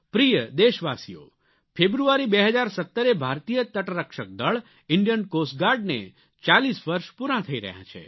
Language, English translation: Gujarati, My dear countrymen, on 1st February 2017, Indian Coast Guard is completing 40 years